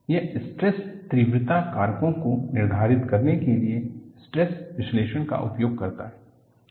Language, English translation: Hindi, It uses stress analysis to determine the stress intensity factors